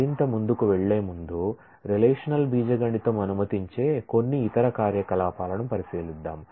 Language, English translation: Telugu, Before proceeding further, Let us look into some of the typical other operations that relational algebra allows